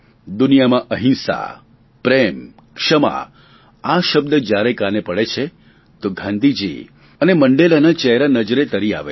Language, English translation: Gujarati, Whenever we hear the words nonviolence, love and forgiveness, the inspiring faces of Gandhi and Mandela appear before us